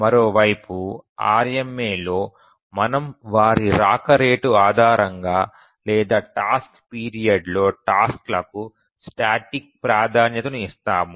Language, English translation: Telugu, On the other hand in RMA we assign static priority to tasks based on their rate of arrival or the task period